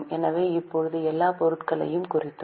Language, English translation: Tamil, So, now we have noted everything